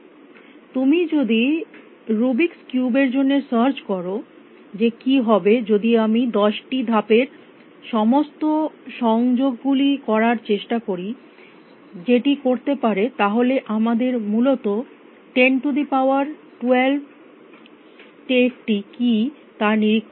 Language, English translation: Bengali, If you have searching for the Rubik’s cube that what will happen if i make try all combinations of 10 moves that can do then you have to inspect what 10 is to 12 states essentially